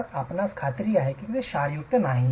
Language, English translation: Marathi, So, you are sure that it is free of salts